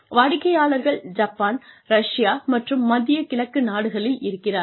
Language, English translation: Tamil, So, customers are in Japan and Russia and the Middle East